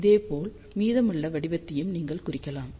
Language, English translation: Tamil, Similarly, you can plot the rest of the pattern